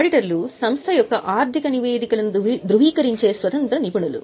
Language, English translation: Telugu, Auditors are independent professionals who certify the financial statements of the company